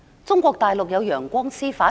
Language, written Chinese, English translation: Cantonese, 中國大陸有"陽光司法"？, There is sunshine judiciary in the Mainland?